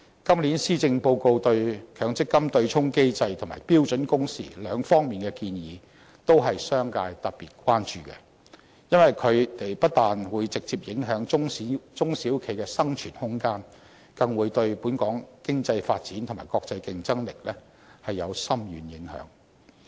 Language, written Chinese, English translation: Cantonese, 今年施政報告對強積金對沖機制及標準工時兩方面的建議，都是商界特別關注的，因為它們不但會直接影響中小型企業的生存空間，更會對本港經濟發展及國際競爭力有深遠影響。, Proposals made by the Policy Address this year on abolishing the offsetting mechanism in the Mandatory Provident Fund scheme and on the standard working hours have drawn special attention from the business sector . These proposals on top of exerting a direct impact on the room for survival of the small and medium enterprises bear a far - reaching impact upon Hong Kongs economic development and international competitiveness